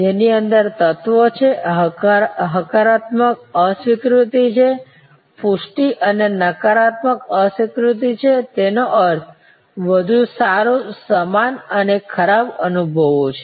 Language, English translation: Gujarati, There are elements inside, there are positive disconfirmation, confirmation and negative disconfirmation; that means, filling of better, same and worse